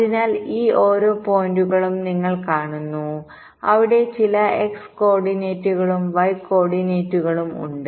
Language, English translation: Malayalam, ah, there, having some x coordinates and y coordinates